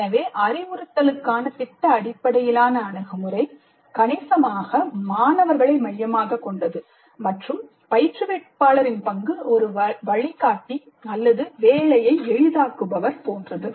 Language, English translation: Tamil, So project based approach to instruction is substantially student centric and the role of instructor is more like a guide, mentor or facilitator, essentially